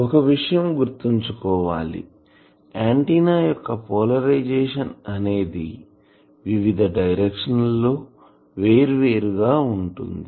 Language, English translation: Telugu, Now, please remember that polarisation of an antenna means that one thing is polarisation is different in different directions